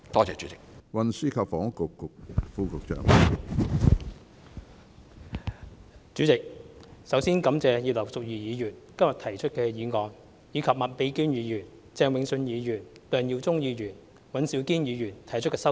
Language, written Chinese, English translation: Cantonese, 主席，首先感謝葉劉淑儀議員今天提出的議案，以及麥美娟議員、鄭泳舜議員、梁耀忠議員、尹兆堅議員提出的修正案。, President first of all I thank Mrs Regina IP for proposing the motion today and Ms Alice MAK Mr Vincent CHENG Mr LEUNG Yiu - chung and Mr Andrew WAN for proposing the amendments